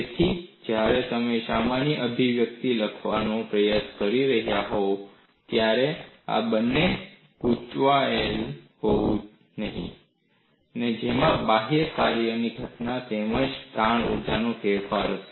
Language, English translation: Gujarati, So, you should not confuse these two when we are trying to write a generic expression which will have components from external work done as well as change in strain energy